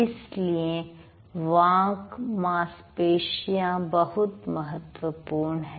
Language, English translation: Hindi, So, the speech muscles are important